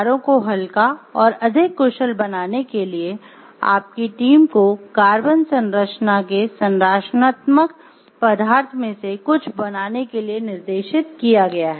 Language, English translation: Hindi, As a part of the company’s drive to make cars lighter and more efficient, your team is directed to make some of the structural members out of carbon fiber composites